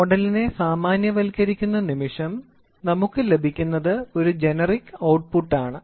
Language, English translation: Malayalam, So, moment we generalize model what we get an output is generic output